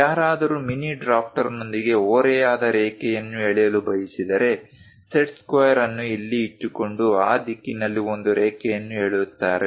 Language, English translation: Kannada, If one would like to draw an inclined line with mini drafter, one will one will keep the set square there and draw a line in that direction